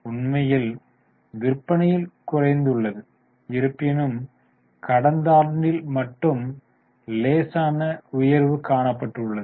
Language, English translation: Tamil, In fact there was a decrease in the sales and only in the last year there is a slight rise